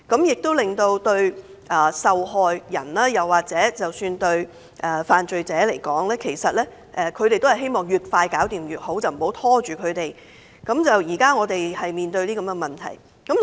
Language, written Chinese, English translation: Cantonese, 事實上，對受害人或犯罪者而言，他們也希望案件越快解決越好，不希望拖延，這是我們現正面對的問題。, In fact both victims and offenders will hope that their cases can be settled as soon as possible and will not be delayed . This is the problem we are facing